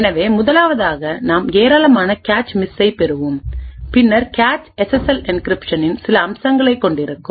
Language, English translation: Tamil, So, in the 1st one we will obtain a large number of cache misses and the cache would then contain some aspects of the SSL encryption